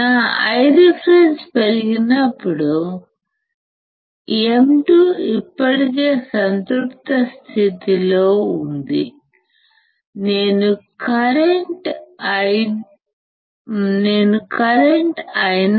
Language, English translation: Telugu, When my I reference increases my M 2 is already in saturation right, I need to go back towards the current Io